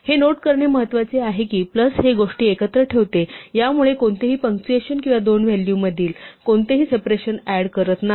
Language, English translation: Marathi, This is important to note that plus directly puts things together it does not add any punctuation or any separation between the two values